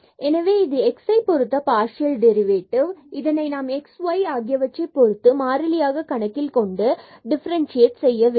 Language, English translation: Tamil, So, we need to get the partial derivative of this with respect to x; that means, we will be differentiating this with respect to x treating y is constant